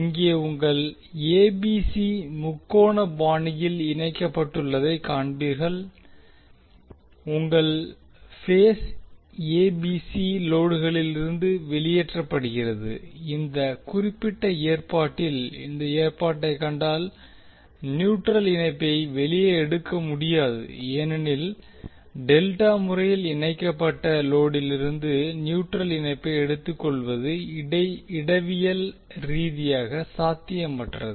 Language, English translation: Tamil, Here you will see ABC are connected in triangular fashion and your phase ABC is taken out from the load and if you see this particular arrangement in this particular arrangement you cannot take the neutral connection out because it is topologically impossible to take the neutral connection from the delta connected load